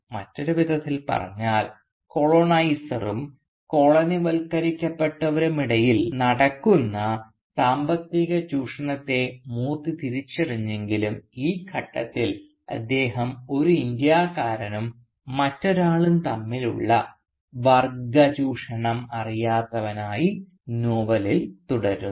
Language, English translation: Malayalam, So in other words, though Moorthy recognises the economic exploitation, that goes on between the coloniser and the colonised, he remains at this stage in the novel, impervious to the class exploitation that goes on between one Indian and another